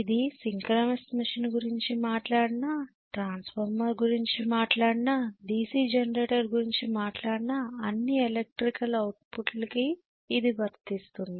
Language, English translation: Telugu, This is true for any machine whether we talk about synchronies machine eventually, whether we talk about transformer, whether we talk about DC generator where we are talking about electrical output